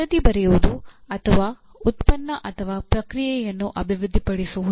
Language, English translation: Kannada, Writing a report and or developing a product or process